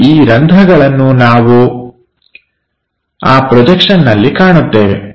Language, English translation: Kannada, And these holes also we will see on that projection